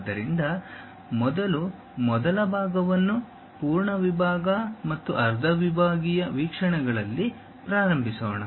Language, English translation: Kannada, So, let us first begin the first part on full section and half sectional views